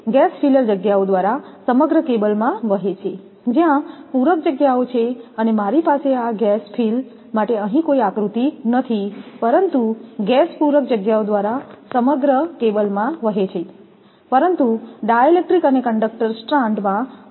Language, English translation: Gujarati, The gas flows throughout the cable via the filler spaces, where the filler spaces and I do not have the diagram here for that gas fill one, but the gas flows throughout the cable via the filler spaces, but gaps in the dielectric and conductors strands